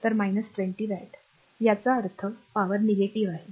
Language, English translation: Marathi, So, minus 20 watt; that means, power is negative